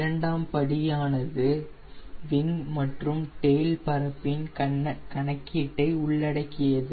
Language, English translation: Tamil, now second step involves calculation of wing and tail area